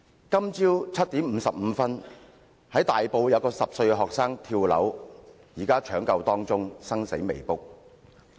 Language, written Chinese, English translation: Cantonese, 今早7時55分，大埔有10歲學生跳樓，現正搶救中，生死未卜。, At 7col55 am today a 10 - year - old student plunged from a building in Tai Po . He is still under resuscitation treatment with unknown chances of survival